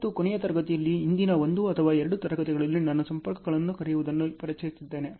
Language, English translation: Kannada, And in the last class, in the previous 1 or 2 classes earlier I have introduced what is called linkages